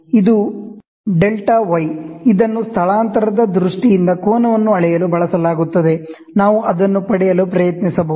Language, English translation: Kannada, So, this is the delta y, which is used to measure the angle in terms of displacement, we can try to get it